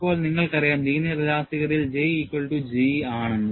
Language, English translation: Malayalam, And now, you know, we have looked at, in the linear elasticity, J equal to G